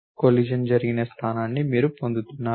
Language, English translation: Telugu, You are giving the position where the collision occurred